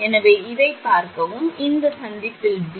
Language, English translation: Tamil, So, look at this, this thing at junction P